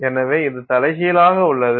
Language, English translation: Tamil, So, it is inverted